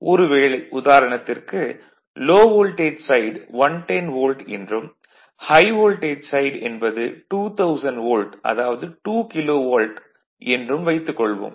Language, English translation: Tamil, Suppose for example, if this low voltage side is 110 Volt and the high voltage side suppose transformer you have2000 Volt 2 KV